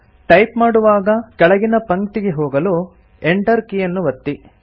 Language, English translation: Kannada, Press the Enter key to go to the next line while typing